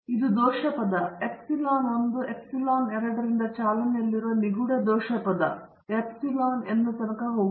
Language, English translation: Kannada, And this is the error term the mysterious error term which is running from epsilon 1 epsilon 2 so on to epsilon n right